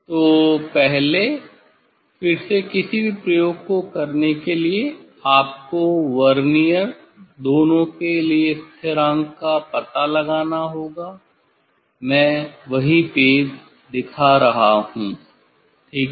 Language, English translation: Hindi, So, first, again for any experiment you have to find out the vernier constant for both Verniers; I am showing the same page ok